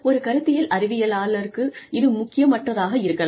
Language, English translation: Tamil, May be, for a theoretical scientist, that may not be the case